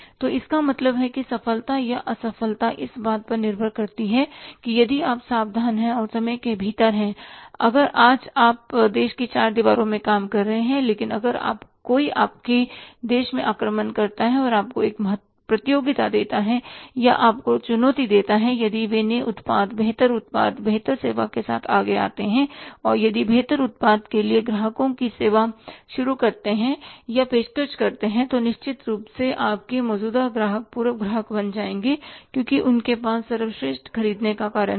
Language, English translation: Hindi, So it means the successor failure depends upon that if you are careful and well within the time if you know it that today you are say operating or floating in the four walls of a country but if somebody invades into your country and gives you a competition or challenges you and if they come forward with a new product better product better service and if they start serving the or offering the customers the better product, certainly your existing customers will become the former customers because they have their reason to buy the best, they have the reason and the right also